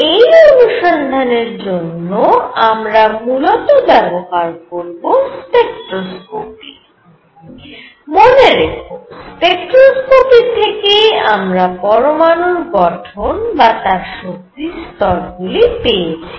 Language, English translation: Bengali, The tools for investigation are mainly spectroscopy, spectroscopy remember this is precisely what gave us the atomic structure the level structure